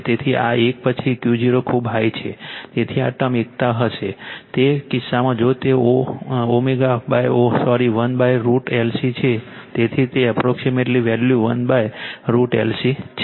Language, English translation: Gujarati, So, this one after Q 0 is very high, so this term will become unity, in that case if it is omega upon oh sorry 1 upon root over L C, so that is your approximate value 1 upon root over L C